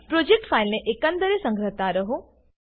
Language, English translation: Gujarati, Save the project file regularly